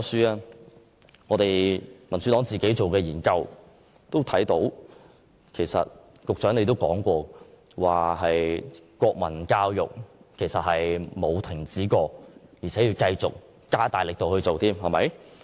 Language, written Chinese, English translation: Cantonese, 根據我所屬民主黨進行的研究，其實局長你亦曾指出，國民教育根本沒有停止過，反而現正繼續加大力度推行。, According to a study conducted by the Democratic Party of which I am a member and what the Secretary yourself have put it national education has never stopped and instead the Government is continuing to step up its efforts in promoting national education